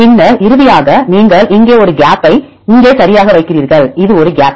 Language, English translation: Tamil, And then finally you put a gap here right here this is a gap